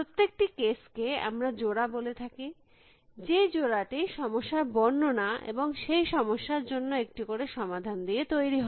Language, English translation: Bengali, Each case as we call it is the pair, made up of a problem description and a solution that work for the problem description